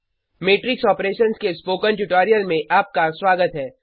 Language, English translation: Hindi, Welcome to the spoken tutorial on Matrix Operations